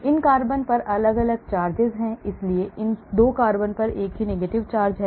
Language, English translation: Hindi, these carbons have different charges so these 2 carbons have same negative charge